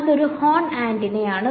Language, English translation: Malayalam, It is a horn antenna right